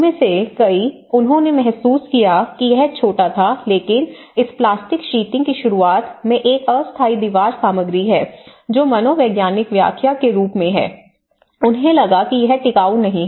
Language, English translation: Hindi, Many of them, they felt it was small but then, the introduction of this plastic sheeting has a temporary wall material that many people as a psychological interpretation, they felt it is not durable